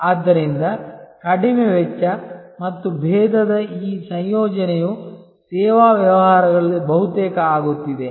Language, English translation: Kannada, So, this combination of low cost and differentiation is almost becoming the norm in service businesses